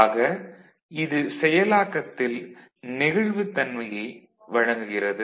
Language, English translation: Tamil, It provides flexibility in processing